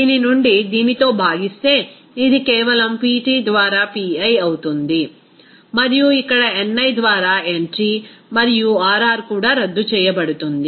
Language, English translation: Telugu, From this simply, this divided by this, it will be simply Pi by Pt and then to here ni by nt and also R R will be canceled out